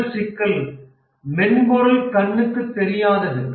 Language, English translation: Tamil, The first problem is that software is intangible